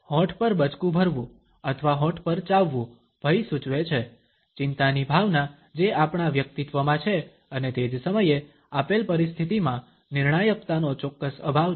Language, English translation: Gujarati, Biting lips or chewing on the lips, also indicates fear, a sense of anxiety which is underlying in our personality and at the same time is certain lack of decisiveness in the given situation